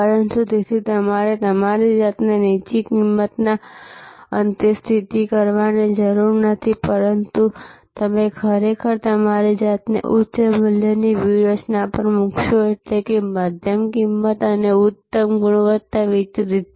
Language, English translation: Gujarati, But, you need did not therefore position yourself at a low price end, but you put actually position yourself at a high value strategy; that means, medium price and excellent quality delivered